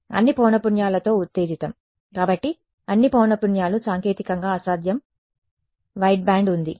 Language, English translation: Telugu, Excited with all frequencies right; so, that is well all frequencies is technically impossible white band right